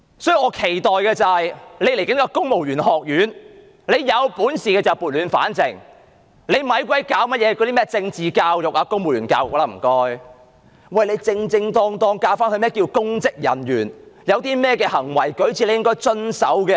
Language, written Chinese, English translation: Cantonese, 所以，我期待局長藉着將要成立的公務員學院撥亂反正，不要再做甚麼政治教育、公務員教育，只需要正正當當地教導何謂公職人員，公務員有甚麼行為舉止需要遵守便可。, Hence I hope the Secretary will seize the opportunity of establishing a civil service college to put things back on the right track . There is no need to provide political education and civil service education you just have to instill a proper concept about the real meaning of being a civil servant and advise civil servants what rules of behaviour they should follow